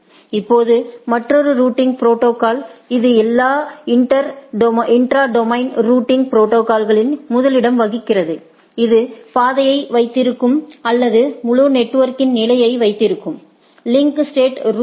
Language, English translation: Tamil, Now, a another routing protocol where which take which keep the inter first of all intra domain routing protocol, which keeps the track of the which keeps the track or which keep the state of the whole network is link state routing right